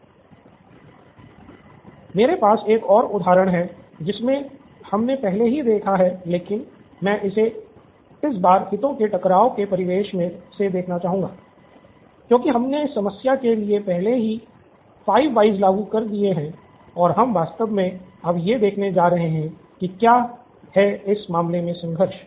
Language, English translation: Hindi, I have another example that we’ve already looked at and I am going to look at it from, this time from a conflict of interest perspective, because we have already applied 5 whys to this problem and we are actually going to see what is the conflict in this case